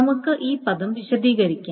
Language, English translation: Malayalam, Let us explain the term